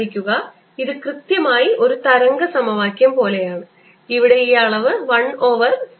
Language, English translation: Malayalam, notice that this is exactly like the wave equation, with this quantity here being one over c square right